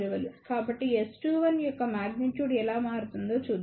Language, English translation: Telugu, So, let us see how magnitude of S 2 1 varies